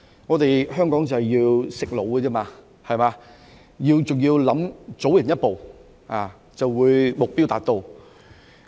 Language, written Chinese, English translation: Cantonese, 我們香港是要"食腦"，還要早人一步，就會目標達到。, In Hong Kong we have got to use our brains and we should be one step ahead of others in order to achieve our goals